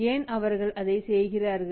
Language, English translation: Tamil, So, why he is doing all that